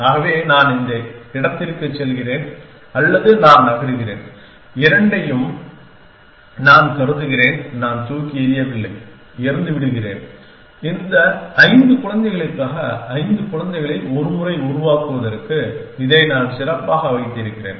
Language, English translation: Tamil, So, let us take say I move to this one or I move I consider both I do not throw I throw either I keep this to best to once generate five children for this five children’s